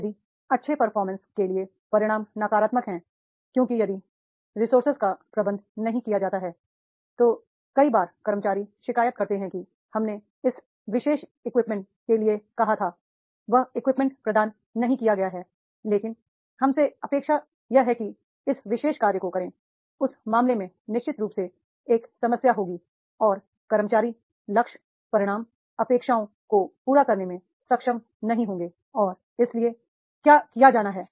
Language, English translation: Hindi, If the consequences for good performance are negative because if the resources are not managed many times the employees complaint that is we have asked for this particular equipment, that equipment is not provided but from us the expectation is to do this particular job, then in that case definitely there will be the problem and employees will not be able to meet the targets, the results, expectations and therefore what is to be done